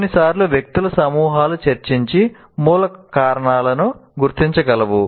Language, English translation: Telugu, Sometimes groups of people can discuss and identify the root causes